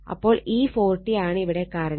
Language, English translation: Malayalam, So, this is 40 right